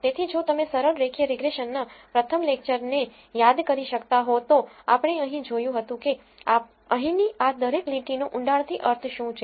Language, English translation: Gujarati, So, if you could recall in the first lecture of simple linear regression, we looked at what each of this line here means in depth